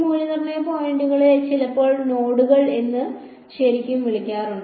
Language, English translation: Malayalam, These evaluation points are also sometimes called nodes ok